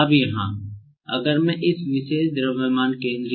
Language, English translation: Hindi, Now, here, if I want to determine the position of this particular mass center